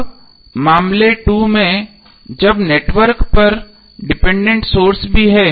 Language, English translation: Hindi, Now in case 2 when the network has dependent sources also